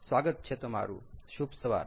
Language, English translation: Gujarati, welcome back, good morning and ah